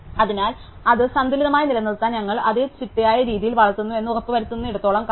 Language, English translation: Malayalam, So, long as we make sure that we grow it in a systematic way to keep it balanced